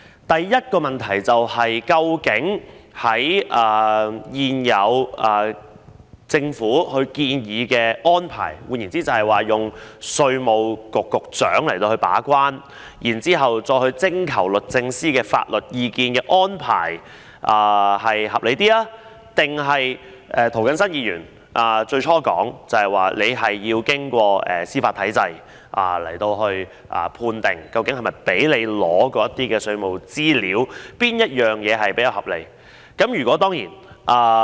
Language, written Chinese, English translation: Cantonese, 第一個問題是，究竟政府現時建議的安排，即由稅務局局長把關，然後再徵求律政司的法律意見這安排較為合理，還是涂謹申議員最初提出要經過司法體制判定究竟是否容許對方取得稅務資料這做法會較為合理呢？, The first question is Which is a better approach the arrangement currently proposed by the Government whereby the Commissioner of Inland Revenue will be the gate - keeper and then the legal advice of the Department of Justice DoJ will be sought or the proposal initially made by Mr James TO that a determination should be made through the judicial system on whether to allow the requesting party to obtain the tax information?